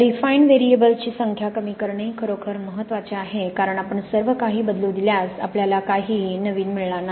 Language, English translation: Marathi, It is really important about to minimize the number of refined variables because if you let everything vary, you can end up with any old rubbish